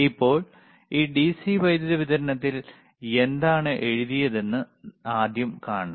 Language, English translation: Malayalam, Now, we have to first see what are the things written on this DC power supply are right